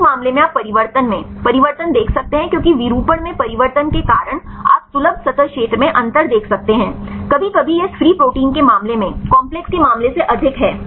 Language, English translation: Hindi, In this case you can see the change in conformation because of change in conformation you can see the difference in accessible surface area right sometimes it is higher in the case of the complex than in the case of this free protein